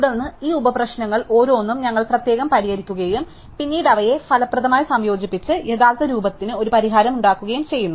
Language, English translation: Malayalam, Then, we solve each of these subproblems separately and then we combine them efficiently to form a solution to the original form